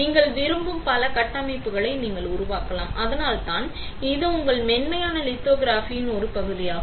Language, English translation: Tamil, You can create as many structures as you want and that is why this is a part of your soft lithography as well